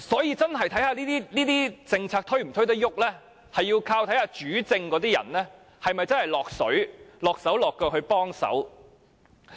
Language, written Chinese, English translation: Cantonese, 因此，這些政策能否推展視乎主政的人是否真的"落水"、"落手落腳"幫忙。, The implementation of these policies depends on whether the persons in charge will really participate and offer conscientious help